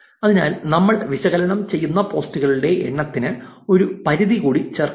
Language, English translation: Malayalam, So, let us also add a limit for the number of posts that we are analyzing